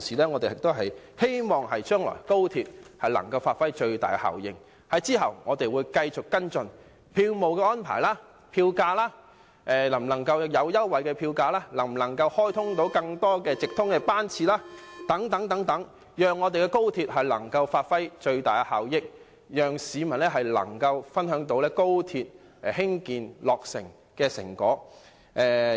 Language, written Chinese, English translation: Cantonese, 我們希望高鐵將來可以發揮最大效益，我們會繼續跟進票務安排和票價，例如可否提供票價優惠、可否開通更多直通班次等，以期高鐵發揮最大效益，讓市民分享高鐵落成的成果。, At the same time we support the commissioning of XRL as scheduled . We hope that XRL can achieve the greatest effectiveness in the future . We will continue to follow up the issues about ticketing arrangements and fares such as the offer of fare concessions and increase in the frequency of through trains so that XRL can achieve the greatest efficiency and members of the public can share the fruit of its commissioning